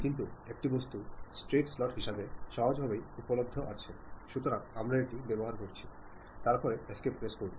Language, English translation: Bengali, But there is an object straight forwardly available as straight slot; so, we are using that, then press escape